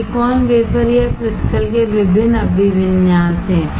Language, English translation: Hindi, There are different orientation of silicon wafer or crystals